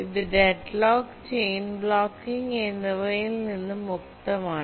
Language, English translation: Malayalam, It's free from deadlock and chain blocking